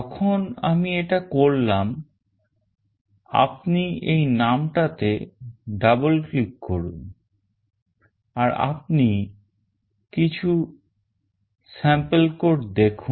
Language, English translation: Bengali, Once I do this you double click on this name, and you see some sample code